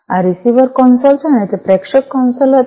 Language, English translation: Gujarati, So, this is the receiver console and that was the sender console